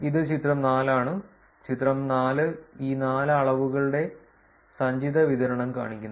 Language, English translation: Malayalam, This is figure 4, figure 4 shows the cumulative distributions of these four measures